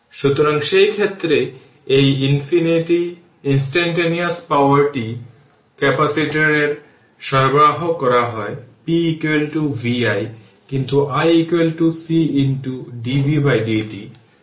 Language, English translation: Bengali, So, in that case, so this instantaneous power delivered to the capacitor is p is equal to v i right, but i is equal to c into dv by dt